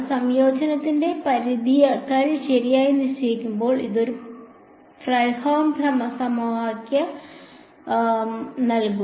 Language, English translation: Malayalam, When the limits of integration are fixed right so, that gives us a Fredholm integral equation